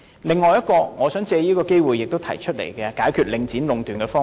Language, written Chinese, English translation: Cantonese, 此外，我想藉此機會提出另一個可以考慮用作解決領展壟斷的方法。, Moreover I wish to take this opportunity to suggest for consideration another solution to the monopolization by Link REIT